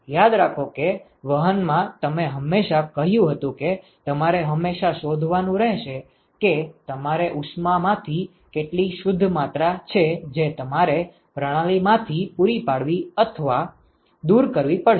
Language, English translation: Gujarati, Remember that in conduction you always said you always have to find out what is the net amount of heat that you have to supply or remove from the system